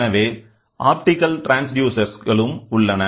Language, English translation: Tamil, So, there are optical transducers also there